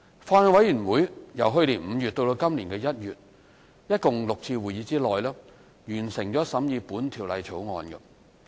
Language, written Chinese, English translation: Cantonese, 法案委員會由去年5月至今年1月共舉行的6次會議，完成審議《條例草案》。, The Bills Committee held a total of six meetings between May 2017 and January 2018 to complete the scrutiny of the Bill